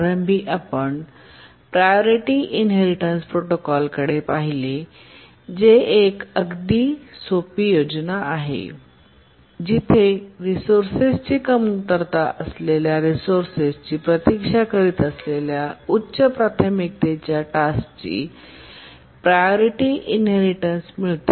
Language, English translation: Marathi, Initially we had looked at the priority inheritance protocol which is a very simple scheme where a lower priority task which has acquired a resource inherits the priority of a higher priority task waiting for the resource but then the basic priority inheritance scheme had two major problems